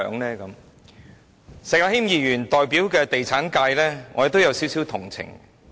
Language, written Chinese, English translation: Cantonese, 對於石議員所代表的地產界，我也有點同情。, I have a little sympathy for the real estate sector represented by Mr SHEK